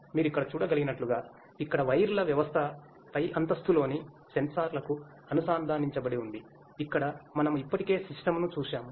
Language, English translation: Telugu, As you can see here sir, the system of wires here are connected to the sensors on the top floor, where we had already seen the system